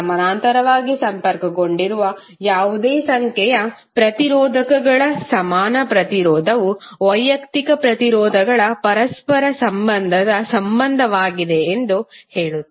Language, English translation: Kannada, This says that equivalent resistance of any number of resistors connected in parallel is the reciprocal of the reciprocal of individual resistances